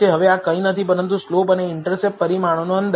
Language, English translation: Gujarati, Now this is nothing, but the estimate for the slope and intercept parameter